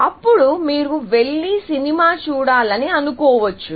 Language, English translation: Telugu, Then, maybe, you will go and see a movie